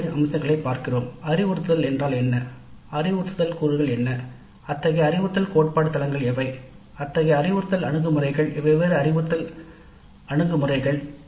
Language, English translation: Tamil, We look at the aspects of instruction, what is instruction, what are the instructional components, what are the theoretical basis for such instructional approaches, different instructional approaches, very broadly in that module we will be concerned with instruction